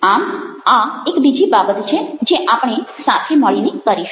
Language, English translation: Gujarati, so this is one of the other things we will be doing together